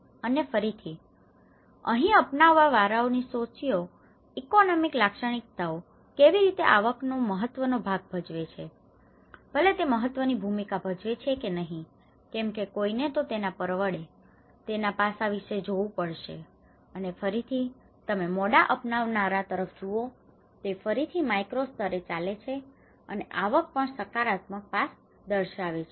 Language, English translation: Gujarati, And again, here the socio economic characteristics of the adopters, how income has played an important role, whether it has played an important role because someone has to look at the affordability aspect of it and again, if you look at it here in the late adopters, it is again at a micro level, it is going, the income has also shown a positive aspect